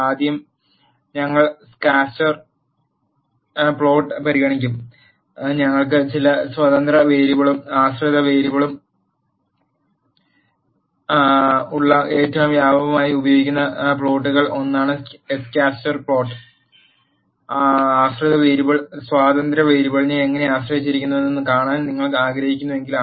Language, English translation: Malayalam, First we will consider scatter plot; scatter plot is one of the most widely used plots where we have some independent variable and dependent variable, when you want to see how a dependent variable is dependent on the independent variable